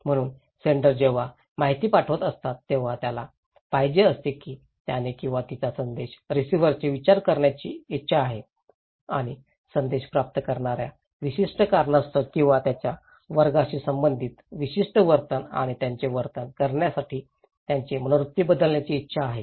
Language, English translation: Marathi, So, senders when sending the informations, he wants, he or she wants to change the mind of the receiver and changing their attitude to persuade the receivers of the message to change their attitude and their behaviour with respect to specific cause or class of a risk